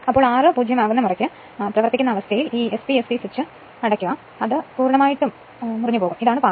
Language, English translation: Malayalam, Once r is 0 right; the running condition then you close this SP ST switch such that this will be completely cut off and this will the path right